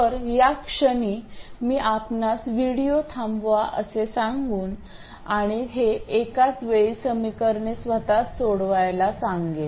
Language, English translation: Marathi, So, at this point I would ask you to pause the video and solve these simultaneous equations by yourselves